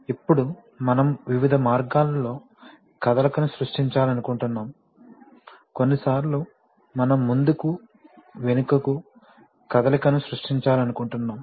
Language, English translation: Telugu, Now we want to create motion in various ways, sometimes we want to create back and forth motion